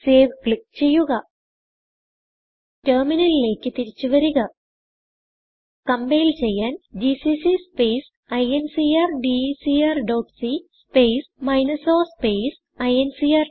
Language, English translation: Malayalam, To compile, type the following on the terminal gcc space incrdecr dot c space minus o space incr